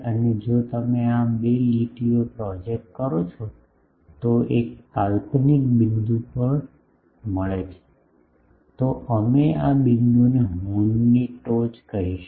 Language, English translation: Gujarati, And, if you project these 2 lines they meet at a hypothetical point, we will call this apex of the horn this point